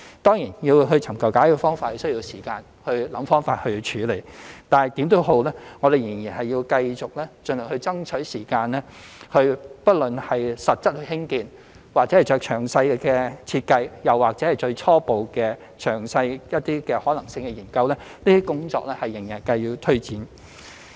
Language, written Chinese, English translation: Cantonese, 當然，要尋求解決方法，便需要時間思考方法處理，但無論如何，我們仍然繼續盡量爭取時間，不論是實質興建或做詳細設計，又或是初步、較詳細的可行性研究，這些工作仍需推展。, While it takes time to figure out solutions we will continue to seize every minute to work on the actual construction detailed design and preliminary or in - depth feasibility studies . All these tasks will still be taken forward